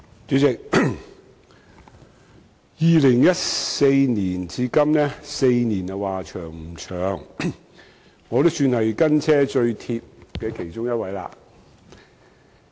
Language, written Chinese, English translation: Cantonese, 主席 ，2014 年至今4年，時間說長不長，但我也算是"跟車最貼"的其中一人。, President it has been four years since 2014 . The period cannot be considered very long but I should be one of those who have been tailgating the matter most closely